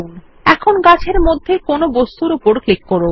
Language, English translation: Bengali, Now click on any object in the tree